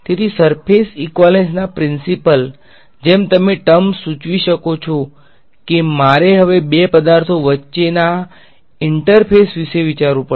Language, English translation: Gujarati, So, surface equivalence principles as you can the word suggest I have to now think of the interface between two objects ok